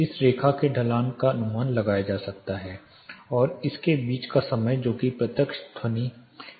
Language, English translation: Hindi, The slope this line is estimated and the time taken between this and this that is the reflections of direct sound